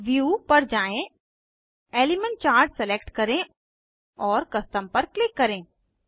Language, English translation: Hindi, Go to View, select Element Charts and click on Custom